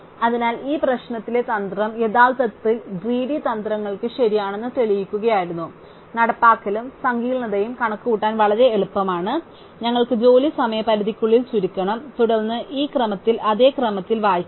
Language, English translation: Malayalam, So, the trick in this problem was to actually prove that the greedy strategies was correct, the implementation and the complexity are very easy to calculate, we just have to sort the job is by deadline and then read out in this schedule in the same order